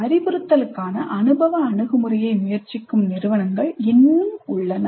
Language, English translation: Tamil, Still there are institutes which are trying the experiential approach to instruction